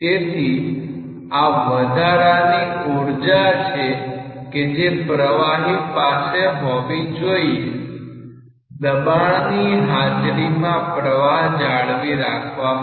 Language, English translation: Gujarati, So, this extra energy the fluid must possess to maintain the flow in presence of pressure